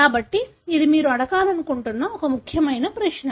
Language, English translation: Telugu, So this is an important question that you want to tell